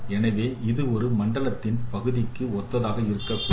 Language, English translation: Tamil, So this should be corresponding to this part of the zone